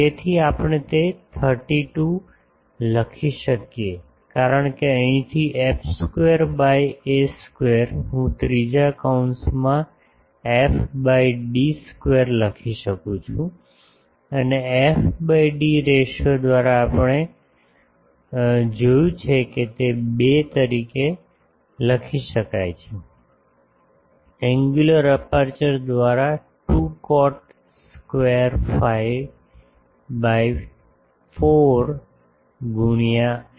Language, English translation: Gujarati, So, putting that we can write that this 32 because f square by a square from here I can write f by d square into this third bracket as it is and that f by d ratio we have seen that that can be written as 2 in terms of the angular aperture 2 cot square phi by 4 into this